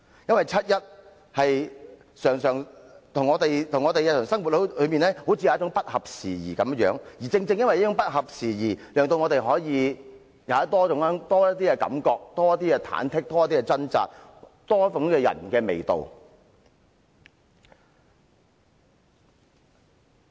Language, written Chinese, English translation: Cantonese, 七一遊行與我們的日常生活好像不合時宜，但正是這種不合時宜，讓我們可以有多些感受，多些忐忑，多些掙扎，多點人的味道。, The 1 July march may be inopportune as far as our daily lives are concerned but exactly due to such inopportuneness we will have more feelings more anxieties and a stronger sense of human touch